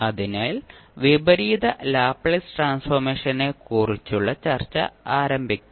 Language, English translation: Malayalam, So, let us start the discussion about the inverse Laplace transform